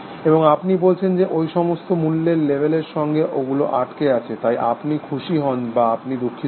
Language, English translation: Bengali, And then you have states, which are attached to those value labels, so you are happy or you are sad